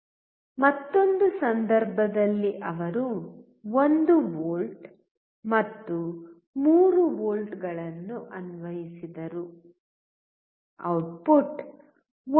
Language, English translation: Kannada, In another case he applied 1 volt and 3 volt, output was 1